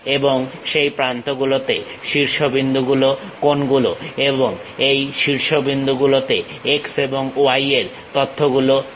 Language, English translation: Bengali, And, in that edges which are the vertices and in those vertices what are the x y information